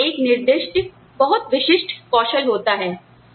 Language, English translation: Hindi, They all have, is a specified, very specific skills set